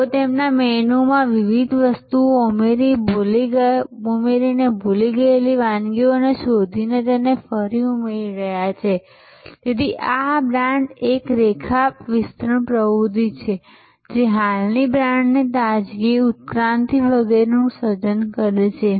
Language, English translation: Gujarati, But, they are creating different adding different items to their menu discovering forgotten recipes and adding it, so this is a line extension activity for a brand this is creating the freshness evolution of the existing brand etc